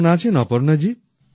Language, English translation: Bengali, How are you, Aparna ji